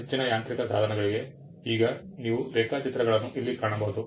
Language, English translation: Kannada, For most mechanical devices, you will find drawings now here is a drawing